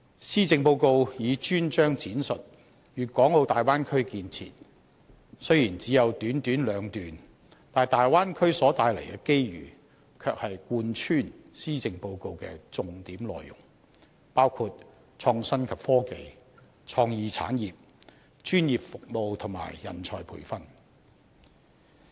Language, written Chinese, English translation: Cantonese, 施政報告以專章闡述粵港澳大灣區建設，雖然只有短短兩段，但大灣區所帶來的機遇，卻是貫穿施政報告的重點內容，包括創新及科技、創意產業、專業服務和人才培訓。, The Policy Address has a dedicated section on Development of the Guangdong - Hong Kong - Macao Bay Area . Although there are only two paragraphs under that section opportunities brought by the Bay Area development in various areas are mentioned throughout the Policy Address . These areas include innovation and technology creative industries professional services and nurturing talent